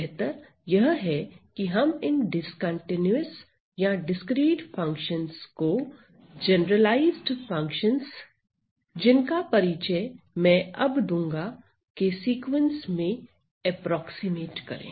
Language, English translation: Hindi, So, it is better to approximate these continuous or discrete functions into the sequence of the so called generalized functions that I am going to introduce now